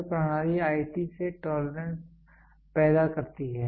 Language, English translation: Hindi, The ISO system provides tolerance creates from IT